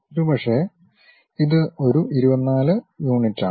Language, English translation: Malayalam, And, perhaps this one 24 units